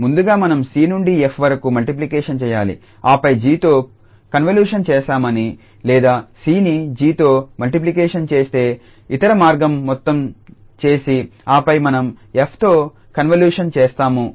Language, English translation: Telugu, Or first we multiply c to f and then make convolution with g or other way round that the c is multiplied to g and then we can convolute with f